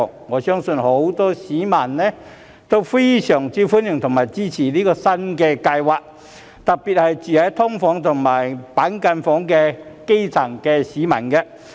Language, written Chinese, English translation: Cantonese, 我相信很多市民都非常歡迎和支持這項新計劃，特別是住在"劏房"和板間房的基層市民。, I believe this new project will be well received and supported by many members of the public especially grassroots people residing in subdivided unitsand cubicle apartments